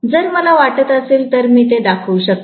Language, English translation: Marathi, If I feel like I can show it